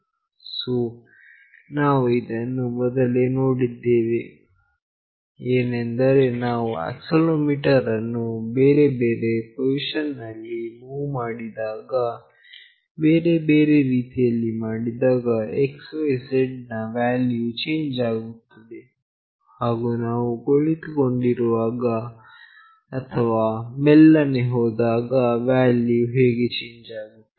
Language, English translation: Kannada, So, we have already seen that when we move the accelerometer in various position, in various ways, the x, y, z value changes and when we are sitting or we are moving in a very slow position, how the value changes